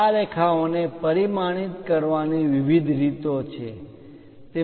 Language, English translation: Gujarati, There are different ways of dimensioning these lines